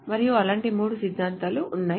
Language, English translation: Telugu, And there are three such axioms